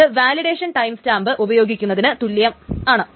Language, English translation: Malayalam, The second is the validation timestamp